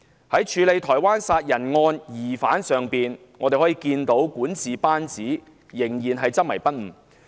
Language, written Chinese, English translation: Cantonese, 在處理台灣殺人案疑犯上，我們可看到管治班子仍然執迷不悟。, The obstinacy of the governance team was apparent in the way the Taiwan homicide case was handled